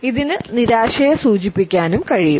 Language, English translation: Malayalam, It can also indicate frustration